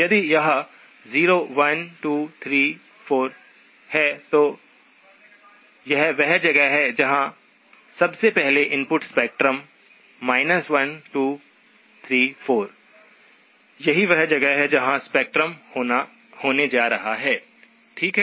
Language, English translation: Hindi, If this is 0, 1 2 3 4, that is where one of the first, the input spectrum; minus 1 2 3 4, that is where the spectrum is going to be, okay